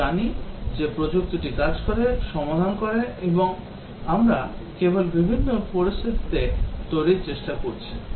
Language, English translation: Bengali, We know that the technology works, the solution works and we are just trying to develop in different situation